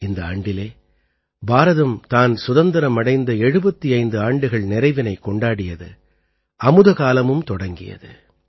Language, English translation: Tamil, This year India completed 75 years of her independence and this very year Amritkal commenced